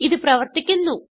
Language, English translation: Malayalam, it is working